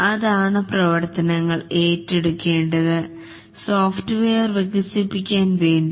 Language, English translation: Malayalam, That is, what are the activities that needs to be undertaken to be able to develop the software